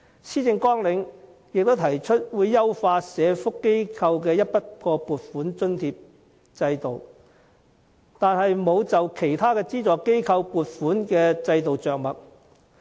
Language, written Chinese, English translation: Cantonese, 施政綱領提出會優化社福機構的整筆撥款津助制度，但沒有就其他資助機構的撥款制度着墨。, The Policy Agenda puts forth the optimization of the Lump Sum Grant Subvention System for social welfare organizations but it does not touch on the subvention systems for other kinds of subvented organizations